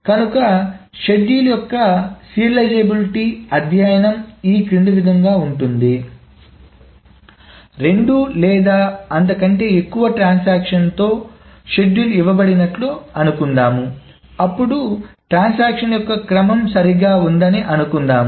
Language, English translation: Telugu, So essentially the study of serializability of schedules is the following is that suppose a schedule is given with two or more transactions and suppose there is a serial order the transaction